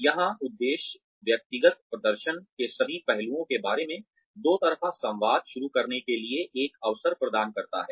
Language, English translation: Hindi, The purpose here, is to provide an opportunity, for opening a two way dialogue, about all aspects of individual performance